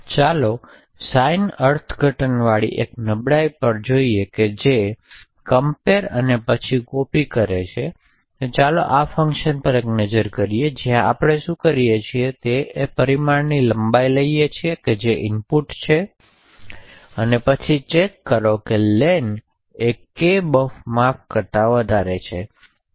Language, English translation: Gujarati, So, let us look at a small vulnerability with sign interpretation that involve comparisons and then copying, so let us take a look at this function where what we do is we take the parameter length which is passed as input, check whether len is greater than size of kbuf